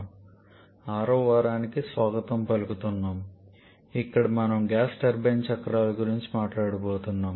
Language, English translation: Telugu, Good morning friends welcome to week number 6 where we are going to talk about the gas turbine cycles